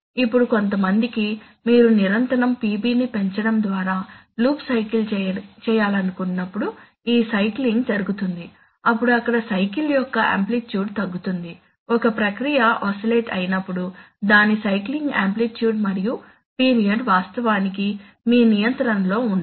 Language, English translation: Telugu, Now for some, it so happens that this cycling, when you, when you want to make the loop cycle by continuously increasing PB, the cycling amplitude there is the amplitude of the cycle may increase, it is, it is actually not in your control when a process oscillates it is cycling amplitude and period are actually not in your control